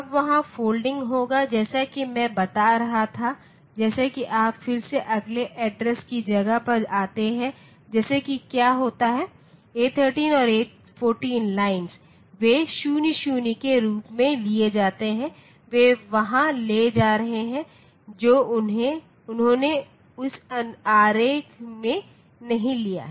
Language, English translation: Hindi, Now, there will be folding as I was telling so for if you again come to the next address space like what happens is the lines A13 and A14 they are taken as 00, they are taking there they have not taken in the in this diagram